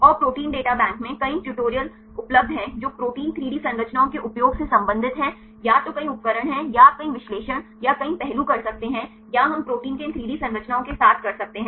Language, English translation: Hindi, And there are several tutorials available in the Protein Data Bank which are related with the usage of protein 3D structures either there are several tools or you can several analysis or several aspects or we can do with these 3D structures of proteins